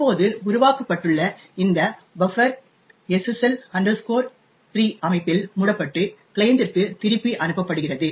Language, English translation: Tamil, Now, this buffer which has just created is wrapped in the SSL 3 structure and sent back to the client